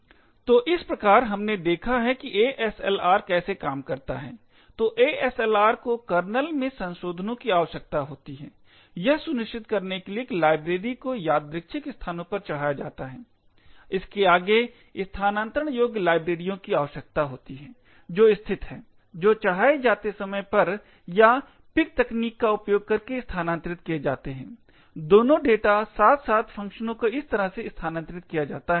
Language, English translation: Hindi, So thus we have seen how ASLR works, so ASLR requires modifications to the kernel, to ensure that libraries are loaded at random locations, further on it requires relocatable libraries which are located, which are made relocatable either at load time or by using PIC technique, both data as well as functions are made relocatable this way